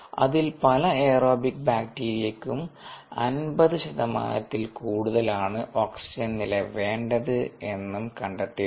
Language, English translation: Malayalam, what is been found is that many aerobic bacteria need a d o above fifty percent to do well